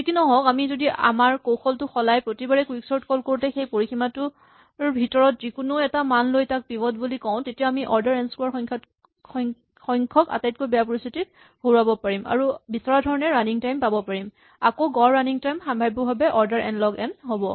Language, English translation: Assamese, However, if we change our strategy and say that each time we call quicksort we randomly choose a value within the range of elements and pick that as the pivot, then it turns out that we can beat this order n squared worst case and get an expected running time, again an average running time probabilistically of order n log n